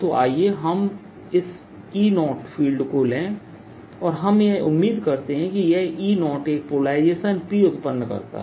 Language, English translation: Hindi, so let us take this e zero field, and what we expect this e zero would do is that produce a polarization p